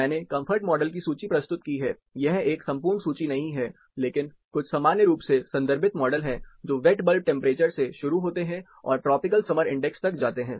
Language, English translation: Hindi, I have plus presented list of comfort models, not an exhaustive list, but a few commonly referred models, starting from wet bulb temperature, it goes on to tropical summer index